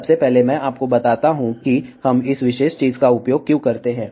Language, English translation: Hindi, Let me first tell you why we use this particular thing